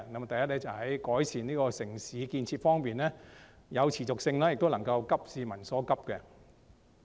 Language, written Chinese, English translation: Cantonese, 第一，在改善城市建設方面有持續性，並且能夠急市民所急。, First there should be continuity in the improvement of municipal facilities and priority should be given to peoples pressing needs